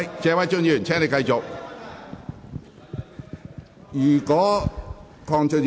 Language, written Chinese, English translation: Cantonese, 謝偉俊議員，請繼續發言。, Mr Paul TSE please continue with your speech